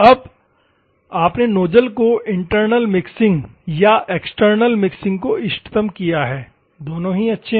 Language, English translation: Hindi, Now, you have optimized the nozzle internal mixing or external missing, both are good